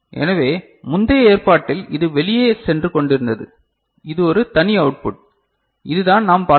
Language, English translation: Tamil, So, we can see earlier in the previous arrangement this was going out and this is a separate output that was there right, this is what we had seen